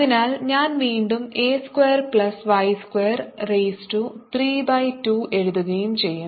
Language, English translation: Malayalam, so i am again going to have a square plus y square raise to three by two